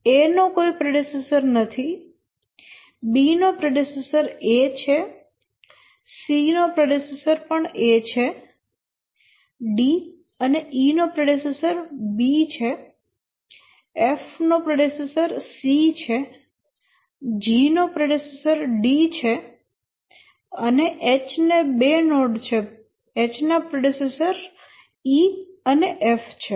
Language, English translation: Gujarati, A has no predecessor, B has predecessor A, C also has predecessor A, D has B as the predecessor, E has also B as the predecessor, E has also B as the predecessor, F has C as the predecessor, G has D as the predecessor, and H has two nodes, E and F as the predecessor